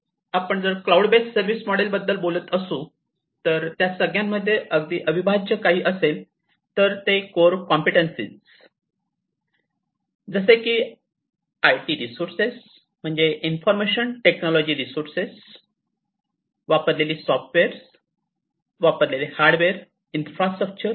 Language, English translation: Marathi, So, if we are talking about the cloud based business model, what is very integral is the core competencies like the IT resources IT means, Information Technology resources, the software that is used, the hardware infrastructure that is used